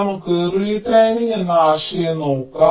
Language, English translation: Malayalam, so lets see, lets look at the concept of retiming